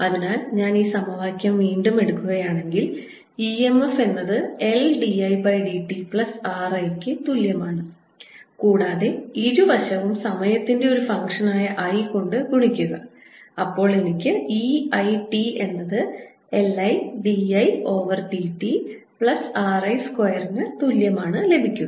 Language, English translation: Malayalam, so if i take this equation again, e m f is equal to l d i, d t plus r i and multiply both sides by i remember i is a function of time i get e i t is equal to l i, d, i over d t plus r i square